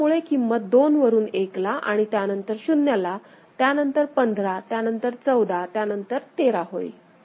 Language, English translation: Marathi, So, from 2 it will go to 1 then 0, then 15, then 14, then 13